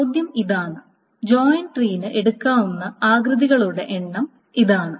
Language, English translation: Malayalam, And the question then is that this is just the number of shapes that the joint tree can take